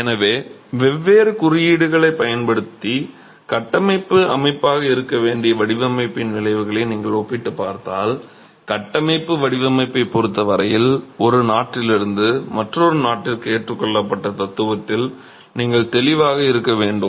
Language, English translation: Tamil, So, if you're comparing the outcomes of the design, which would be the structural system, using different codes, you have to be clear of the philosophy that is adopted as far as the structural design is concerned from one country to another